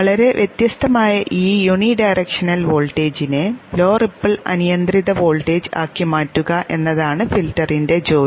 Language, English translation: Malayalam, The job of the filter is to transform this highly varying unidirectional voltage into a low ripple unregulated voltage